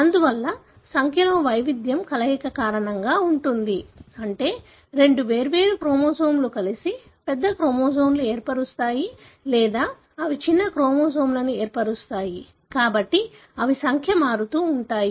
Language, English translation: Telugu, Therefore, variation in the number is either because of fusion, meaning two different chromosome fusing together to form a larger chromosome or they are broken to form shorter chromosomes and therefore the number varies